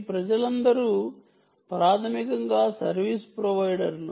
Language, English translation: Telugu, right, all these people are, um, basically service providers